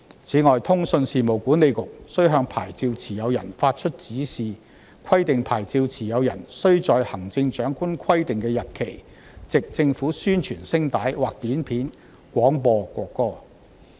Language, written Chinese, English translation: Cantonese, 此外，通訊事務管理局須向牌照持有人發出指示，規定牌照持有人須在行政長官規定的日期，藉政府宣傳聲帶或短片廣播國歌。, The Communications Authority must make a direction in relation to the broadcasting licence requiring the licensee to broadcast the national anthem by APIs on a date stipulated by the Chief Executive